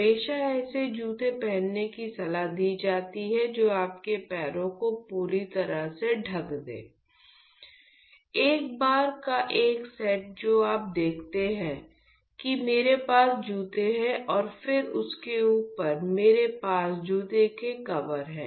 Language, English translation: Hindi, It is always suggested to wear shoes that completely covers your feet, one set of once that you see that I have shoes and then on top of it we have shoe covers